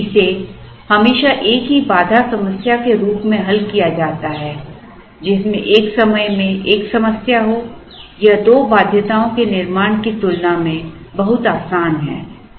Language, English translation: Hindi, Whereas, always solving it as a single constraint problem, one at a time is a lot easier than building two constraints into the problem